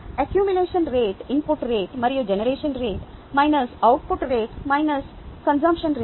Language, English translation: Telugu, the accumulation rate is input rate plus generation rate, minus output rate, minus consumption rate